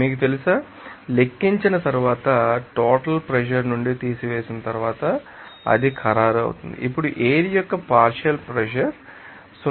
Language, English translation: Telugu, You know, calculated and then it will be finally after subtraction from the total pressure, then partial pressure of air will be equal to 0